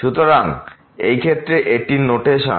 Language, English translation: Bengali, So, in this case this is the notation